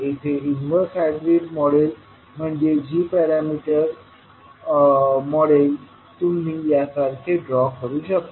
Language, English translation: Marathi, Here the inverse hybrid model that is the g parameter model